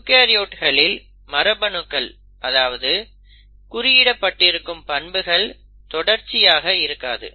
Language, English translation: Tamil, In case of eukaryotes what we observed is that the gene which is coding for a particular character, is not in continuity